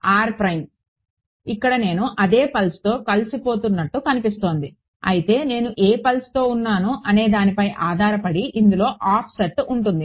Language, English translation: Telugu, So, over here it looks like I am integrating over the same pulse yeah, but there will be an offset in this depending on which pulse I am in irght